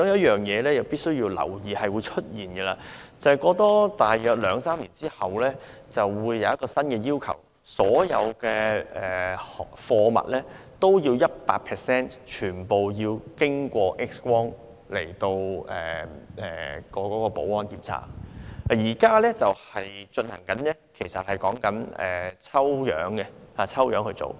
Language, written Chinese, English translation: Cantonese, 其中必須留意的是，大約兩三年後，國際對空運業會實施一項新要求，就是所有貨物均要 100% 經過 X 光保安檢測，而現行的做法是抽樣檢查。, It must be noted that about two or three years later a new requirement will be implemented in the international airfreight industry that is all air cargoes must be X - ray examinated for security reasons whilst the current practice is random checking